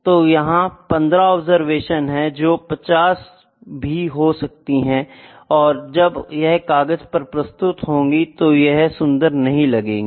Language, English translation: Hindi, So, there were 15 observation had it been maybe 50 observation 50, it would not look very elegant when it is presented on a paper